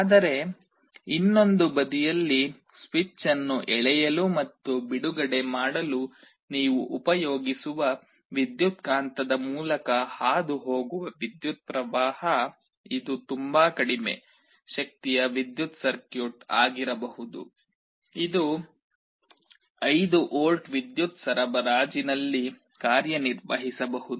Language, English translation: Kannada, But on the other side the current that you are passing through this electromagnet to pull and release the switch, this can be a very low power circuit, this can be working at 5 volts power supply